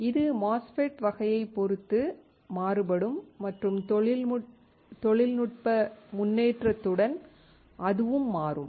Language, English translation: Tamil, It can also vary depending on type of MOSFET and with the technology advancement, it will change